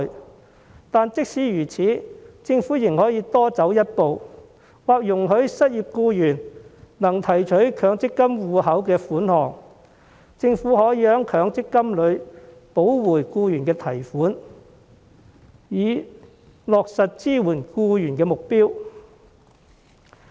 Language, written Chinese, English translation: Cantonese, 可是，即使如此，政府仍可以多走一步，容許失業僱員提取強積金戶口的款項，並由政府補回僱員從強積金戶口提取的款項，以落實支援僱員的目標。, Nevertheless the Government could take a step further by allowing unemployed workers to withdraw funds from their MPF accounts and having the Government inject the funds back to their MPF accounts afterwards so as to achieve the objective of supporting employees